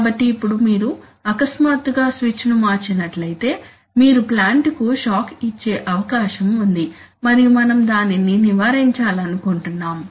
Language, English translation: Telugu, So now if you, if you suddenly flick the switch over you are likely to give the plant a shock and we want to avoid that